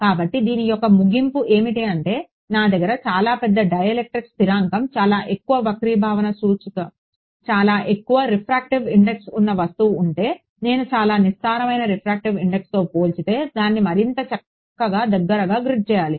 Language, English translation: Telugu, So, what are the so, what is the sort of conclusion of this is that, if I have an object with a very large dielectric constant very high refractive index I need to grid it finer compared to let us say a very shallow refractive index ok